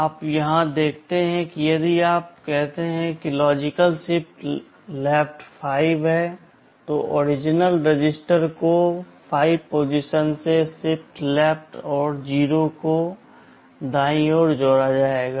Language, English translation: Hindi, You see here if you say logical shift left 5, the original register will be shifted left by 5 positions and 0’s will be added on the right